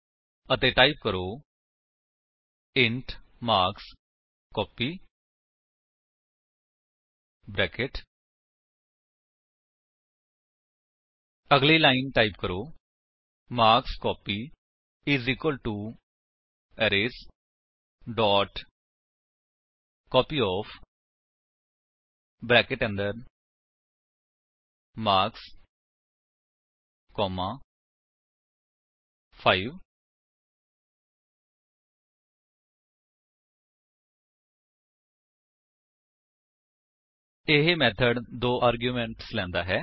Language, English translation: Punjabi, And type: int marksCopy[] Next line, type: marksCopy = Arrays.copyOf(marks, 5) This method takes two arguments